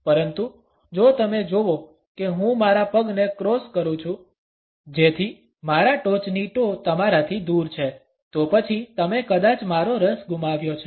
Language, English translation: Gujarati, But if you notice that I cross my legs so that my top toe is pointed away from you; then you have probably lost my interest